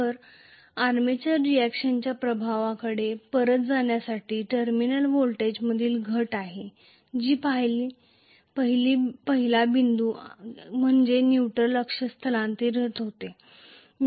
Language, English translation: Marathi, So, to come back to the effect of armature reaction there is the reduction in the terminal voltage that is the first point the second one is neutral axis gets shifted